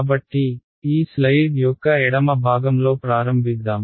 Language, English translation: Telugu, So, let us start with the left part of the slide over here